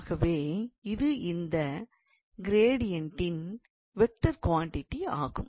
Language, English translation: Tamil, So, this is a vector quantity this gradient